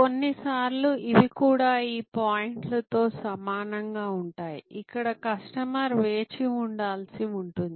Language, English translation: Telugu, And sometimes these are also this points are the same as the point, where the customer may have to wait